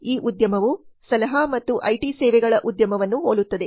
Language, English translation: Kannada, This industry is similar to consulting and IT services industry